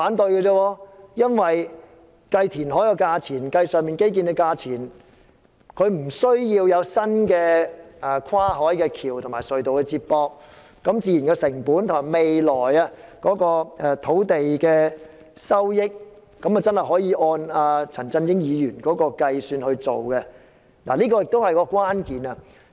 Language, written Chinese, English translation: Cantonese, 計算東涌東填海的成本，的確無須計算興建新的跨海大橋和接駁隧道的成本，未來土地的收益確實可以按陳振英議員所說的方法計算，這是關鍵所在。, When calculating the construction cost of Tung Chung East it is indeed unnecessary to consider the construction costs of a new bridge and connecting tunnels and the future profits from land sales can be calculated in the way as suggested by Mr CHAN Chun - ying . This is the problem at issue